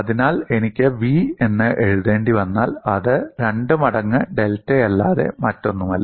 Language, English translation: Malayalam, So, if I have to write down v, it is nothing but 2 times delta